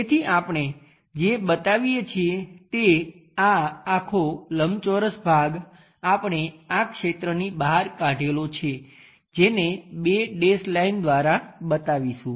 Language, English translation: Gujarati, So, what we show is; this entire rectangular scooped out region we will show it by two dashed lines